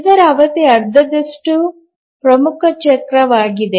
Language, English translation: Kannada, So its period is half the major cycle